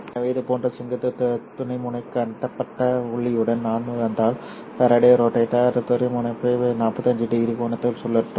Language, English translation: Tamil, So if I come in with such a vertically polarized light, then the Faraday Rotator will rotate the polarization into a 45 degree angle